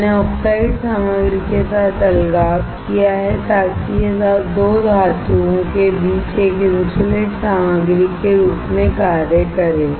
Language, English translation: Hindi, I have separation with the oxide material so that it acts as an insulating material between 2 metals